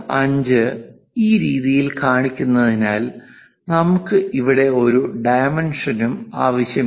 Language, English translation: Malayalam, 5 in this way, we don't really require any dimension here